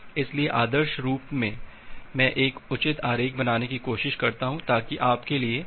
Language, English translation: Hindi, So, ideally let me try to draw a proper diagram so that the things become easier for you to understand